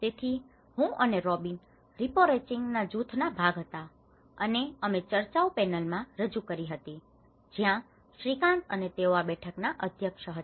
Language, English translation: Gujarati, So, myself and Robyn were the part of the rapporteuring group, and we were actually presented in the panel discussions where Shrikant and they were chairing this session